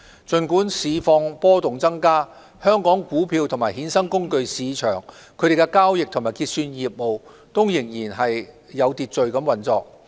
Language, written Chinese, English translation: Cantonese, 儘管市況波動增加，香港股票及衍生工具市場的交易及結算業務仍然有序運作。, Despite the volatility of the market the trading and settlement business of the Hong Kong stock and derivatives market is still operating in an orderly manner